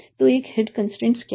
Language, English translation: Hindi, So what is single head constraint